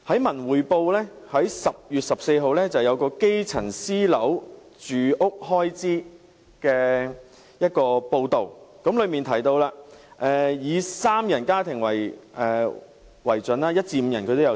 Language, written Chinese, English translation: Cantonese, 《文匯報》在10月14日刊登了一篇有關基層私樓住屋開支的報道，當中提到一至五人家庭的情況。, An article in Wen Wei Po of 14 October reported the expenses grass - roots households of one to five persons spent on private housing